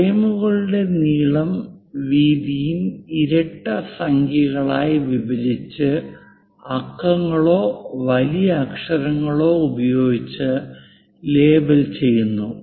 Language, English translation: Malayalam, The length and width of the frames are divided into even number of divisions and labeled using numerals or capital letters